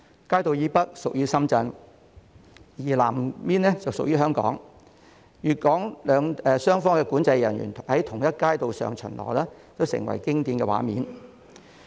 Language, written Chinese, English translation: Cantonese, 街道以北屬於深圳，南邊則屬於香港，粵港雙方管制人員在同一街道上巡邏成為經典的畫面。, To the north of Chung Ying Street is Shenzhen and to its South is Hong Kong . The patrolling of boundary control officers of both Guangdong and Hong Kong on the same street is a classic scene of Chung Ying Street